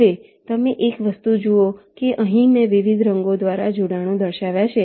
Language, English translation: Gujarati, now one thing: you see that here i have shown the connections by different colors